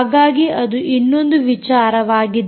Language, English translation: Kannada, ok, so that is another thing